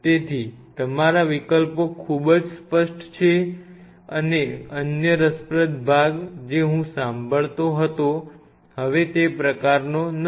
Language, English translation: Gujarati, So, your options are very clear either and another interesting part I used to heam of, but as of now it is kind of not